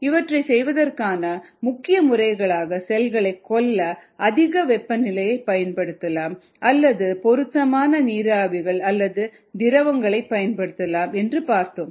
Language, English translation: Tamil, the main modes of killing include ah thermal killing a high temperature can be used to kill cells or could use a appropriate vapours or liquids ah